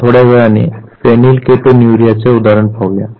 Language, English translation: Marathi, We will take the example of phenylketonuria little later